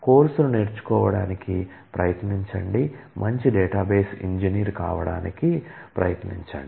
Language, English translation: Telugu, Enjoy the course, and try to learn, try to become a good database engineer